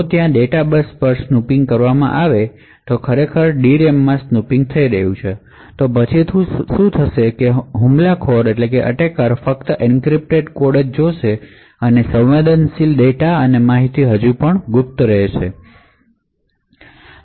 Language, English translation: Gujarati, So thus, if there is a snooping done on the data bus or there is actually snooping within the D RAM then what would happen is that the attacker would only see encrypted code and the sensitive data and information is still kept secret